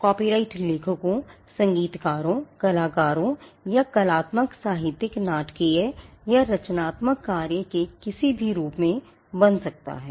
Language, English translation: Hindi, Copyright can vest on the authors, composers, artists or creators of artistic literary, dramatic or any form of creative work